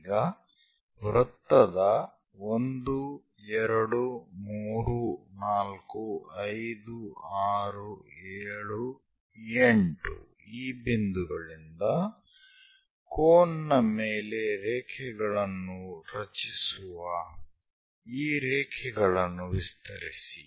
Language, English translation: Kannada, Now from these labels 1, 2, 3, 4, 5, 6, 7, 8 of the circle; extend the lines which are going to generate lines on the cones